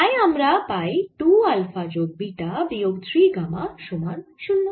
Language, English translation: Bengali, so this becomes two alpha plus beta minus three, gamma is equal to zero